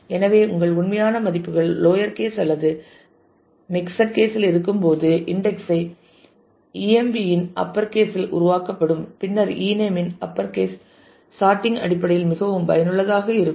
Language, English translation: Tamil, So, what will happen your actual values are in impossibly lower case or mixed case, but your index emp upper e name will get created on the in the order of the upper case of e name and will be very useful in terms of the sorting later on